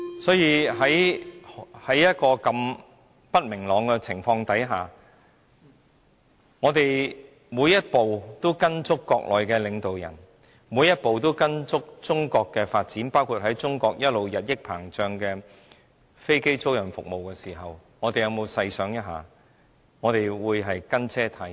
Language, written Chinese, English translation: Cantonese, 所以，在如此不明朗的情況下，如果我們每一步也依隨國內的領導人，每一步也依隨中國的發展，包括發展中國日益膨脹的飛機租賃服務，我們有否細想一下，我們是否"跟車"太貼？, Given the uncertainties have we though carefully that we are tailgating by following each and every step of State leaders as well as each and every development on the Mainland including the expanding aircraft leasing services?